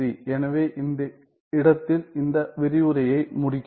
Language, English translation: Tamil, So, I end this lecture at this point